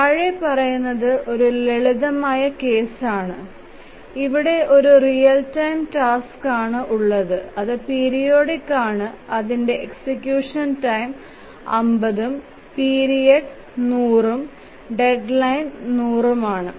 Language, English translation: Malayalam, Let's consider there is a very simple case where there is only one real time task which is periodic, the period is 50, sorry, the execution time is 50, the period is 100 and the deadline is 100